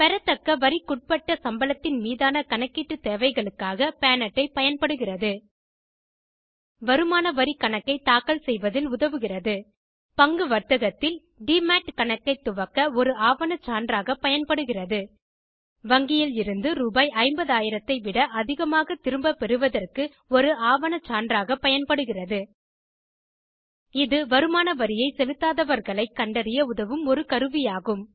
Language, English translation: Tamil, Pan Card is used for accounting purposes on receivable taxable salary Aids in filing of Income Tax Returns Used as a documentary proof for opening DEMAT Account for share trading It is used as a documentary proof for bank withdrawals exceeding Rs.50, 000 It is a tool that helps the IT Dept to keep a check over tax defaulters